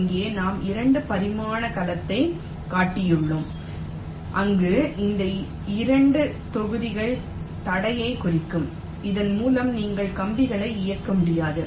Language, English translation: Tamil, here we have showed a two dimensional array of cell where this dark block represent the obstacle through which we cannot